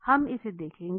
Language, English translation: Hindi, We will see that